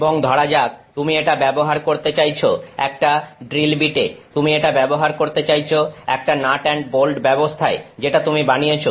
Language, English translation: Bengali, And, let say you want to use this in some let say you want to use this in a drill bit, let say you want to use it in some nut and bolt arrangement that you have made